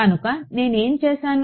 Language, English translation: Telugu, So, what did I do